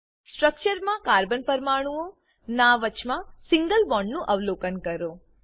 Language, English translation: Gujarati, Observe the single bond between the carbon atoms in the structures